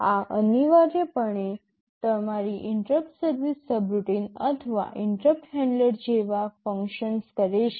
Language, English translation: Gujarati, This essentially functions like your interrupt service subroutine or interrupt handler